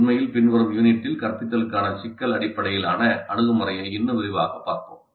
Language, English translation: Tamil, In fact, in a later unit we'll study the problem based approach to instruction in greater detail